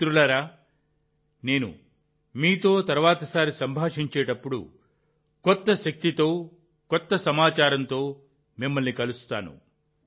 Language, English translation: Telugu, Friends, the next time I converse with you, I will meet you with new energy and new information